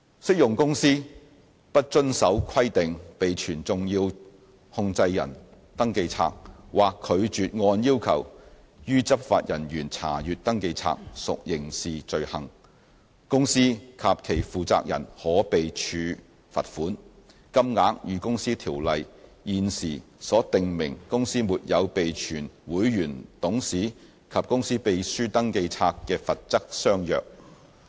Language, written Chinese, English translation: Cantonese, 適用公司不遵從規定備存"重要控制人登記冊"，或拒絕按要求予執法人員查閱登記冊，屬刑事罪行，公司及其負責人可被處罰款，金額與《公司條例》現時所訂明公司沒有備存會員、董事及公司秘書登記冊的罰則相若。, If an applicable company fails to comply with the requirement of keeping a SCR or refuses to provide a SCR for inspection upon law enforcement officers demand it is guilty of a criminal offence the company and its responsible persons will be liable to a fine at a level comparable to that currently applicable to failure to keep registers of members directors and company secretaries under the Companies Ordinance